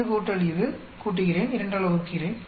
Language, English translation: Tamil, This plus this, add up, divide it by 2